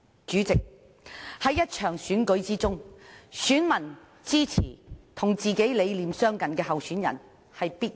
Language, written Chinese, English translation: Cantonese, 在一場選舉中，選民支持與自己理念相近的候選人，理所當然。, In an election it is right and proper for voters to support a candidate with whom they share similar visions